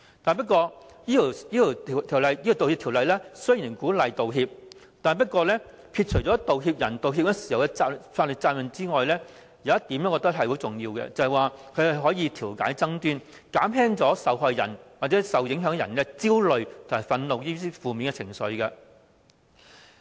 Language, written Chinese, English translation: Cantonese, 《道歉條例草案》鼓勵作出道歉，而撇除道歉人在道歉時的法律責任外，我認為有一點相當重要，就是可藉道歉調解爭端，減輕受害人或受影響人的焦慮和憤怒等負面情緒。, The Bill encourages the making of apologies by ridding the apologizing party of any legal liabilities . I think one very important point here is that the making of an apology can thus serve as a means of resolving a dispute alleviating the negative emotions such as anxiety and anger felt by the victims or the people affected